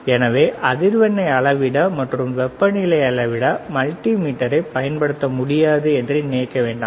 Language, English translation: Tamil, So, do not come under the impression that the multimeter cannot be used to measure frequency; the multimeter cannot be used to measure temperature, right